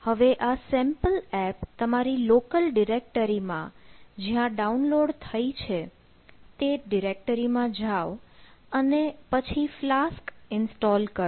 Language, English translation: Gujarati, so go to the directory that contains this downloaded sample app in your local directory here, where you go to the directory and then install the flask